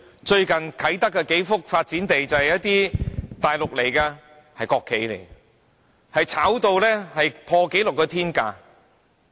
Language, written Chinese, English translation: Cantonese, 最近啟德發展區數幅發展地，便由一些大陸到港的國企購得，並炒賣至破紀錄的天價。, Several development sites at the Kai Tak Development Area have recently been acquired at record - breaking sky - high prices by state - owned enterprises coming to Hong Kong from the Mainland